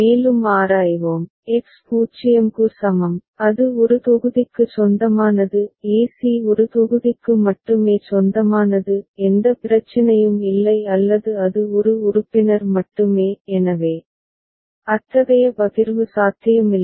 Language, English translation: Tamil, And further we examine, we see that for X is equal to 0, it is b b belonging to one block; e c belonging to one block only; no issue or b it is only one member; so, no such partitioning possible